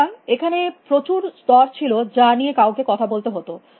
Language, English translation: Bengali, So, there have been layers and layers that one has to talk about